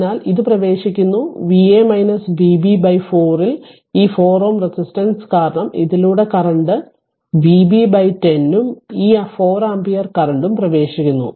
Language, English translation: Malayalam, So, this current we saw it is entering V a minus V b by 4, because this 4 ohm resistance current through this is V b by 10 right and this 4 ampere current it is entering